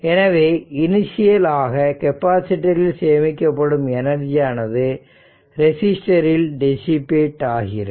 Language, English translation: Tamil, So, initial energy stored in the capacitor eventually dissipated in the resistor